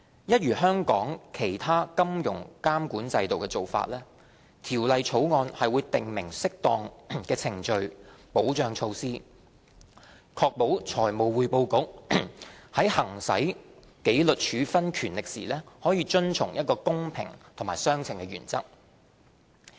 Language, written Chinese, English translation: Cantonese, 一如香港其他金融監管制度的做法，《條例草案》會訂明適當的程序保障措施，確保財務匯報局在行使紀律處分權力時遵從公平及相稱原則。, Similar to other financial regulatory regimes in Hong Kong the Bill will provide for appropriate procedural safeguards to ensure that the principles of fairness and proportionality are followed when the Financial Reporting Council exercises its disciplinary powers